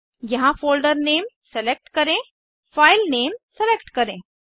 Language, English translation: Hindi, Select the folder name here, select the file name